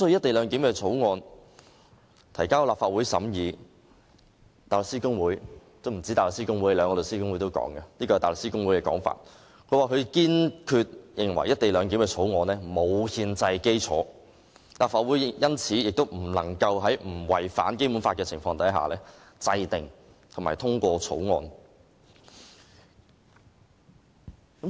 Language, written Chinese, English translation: Cantonese, 大律師公會及香港律師會分別就《條例草案》提交意見，前者堅決認為《條例草案》沒有憲制基礎，立法會亦因此不能在不違反《基本法》的情況下制定及通過《條例草案》。, The Bar Association and The Law Society of Hong Kong have submitted their opinions on the Bill . The former firmly believed that the Bill had no constitutional basis so the Legislative Council could not enact and pass the Bill without contravening the Basic Law